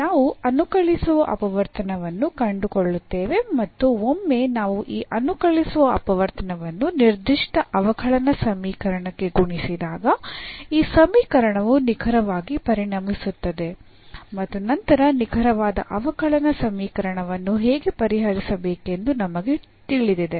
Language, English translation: Kannada, So, what we will do now, we will find the integrating factor and once we multiply this integrating factor to the given differential equation then this equation will become exact and then we know how to solve the exact differential equation